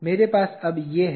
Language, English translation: Hindi, I have like this now